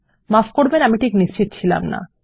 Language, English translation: Bengali, Sorry I was a bit confused there